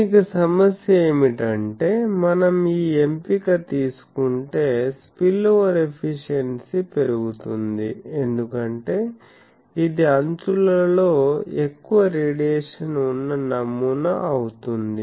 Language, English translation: Telugu, But the problem for this is if we take this choice then the spillover efficiency gets increased because that becomes a pattern which has much more radiation in the edges